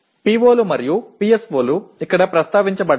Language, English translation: Telugu, The POs and PSOs are addressed here